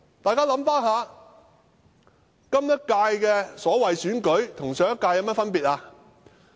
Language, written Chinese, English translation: Cantonese, 大家回想一下，今屆的所謂選舉與上屆有何分別？, Let us look back . What is the difference between the current so - called election and the previous one?